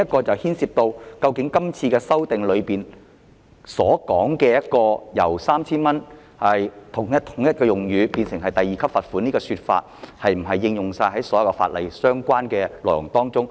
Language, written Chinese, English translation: Cantonese, 這牽涉到今次修訂為達致用詞一致而將 3,000 元罰款變成第2級罰款的做法，是否適用於所有法例的相關內容。, This involves the question of whether the present amendment to revise the fine of 3,000 to level 2 for the sake of consistency applies to the same reference in other legislation